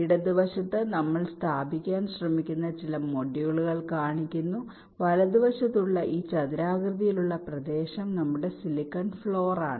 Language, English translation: Malayalam, on the left we show some modules that we are trying to place and this rectangular region on the right is our silicon floor